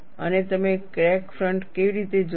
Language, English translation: Gujarati, And how do you see the crack front